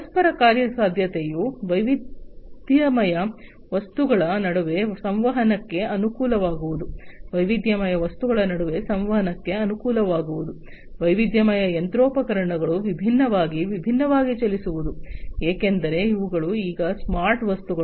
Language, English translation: Kannada, Interoperability is about facilitating communication between heterogeneous objects facilitating communication between heterogeneous objects, heterogeneous machinery running different, different, because these are now smart objects right